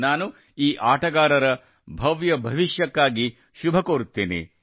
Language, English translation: Kannada, I also wish these players a bright future